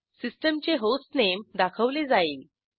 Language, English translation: Marathi, The hostname of the system will be displayed